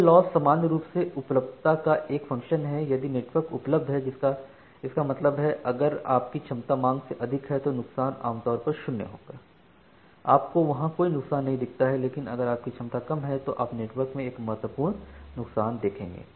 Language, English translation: Hindi, So, this loss is a function of availability in general, if the network is available, that means, if your capacity is more than the demand then the loss will generally be zero you do not see any loss there, but if your capacity is less then you will see a significant loss from the network